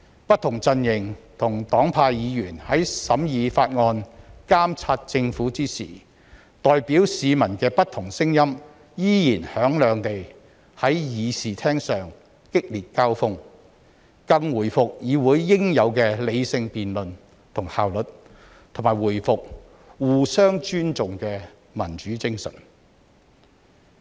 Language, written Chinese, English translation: Cantonese, 不同陣營和黨派的議員在審議法案、監察政府時，代表市民的不同聲音依然響亮地在議事廳上激烈交鋒，更回復議會應有的理性辯論和效率，以及重拾互相尊重的民主精神。, When Members belonging to different political camps and parties scrutinized bills and exercised their power to monitor the Government fierce clashes of different voices representing the public in the Chamber could still be heard . That is to say rational debates and efficiency which are expected of the legislature have been restored and the democratic spirit of mutual respect has revived